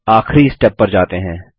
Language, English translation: Hindi, Now, let us go to the final step